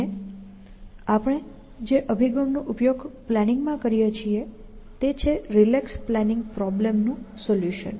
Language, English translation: Gujarati, And the approach that we use in planning is to solve the, what we called is the relaxed